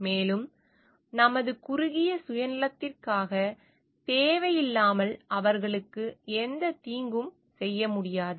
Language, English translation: Tamil, And we cannot provide any harm to them unnecessarily for the ours narrow self interest